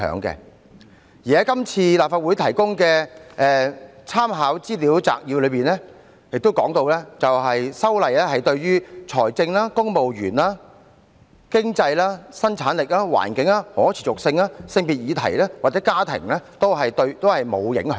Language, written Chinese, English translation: Cantonese, 今次在立法會提供的立法會參考資料摘要亦提到，修例對於財政、公務員、經濟、生產力、環境、可持續性、性別或家庭議題均沒有影響。, According to the Legislative Council Brief the proposal has no financial civil service economic productivity environmental sustainability and gender or family implications